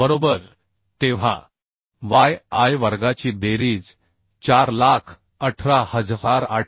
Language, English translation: Marathi, 86 right then summation of yi square is equal to 418877